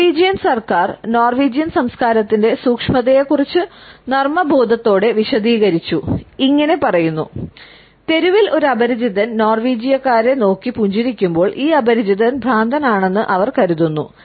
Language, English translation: Malayalam, The Norwegian government has humorously explained, nuances of Norwegian culture by indicating that when is stranger on the street smiles at Norwegians, they may assume that this stranger is insane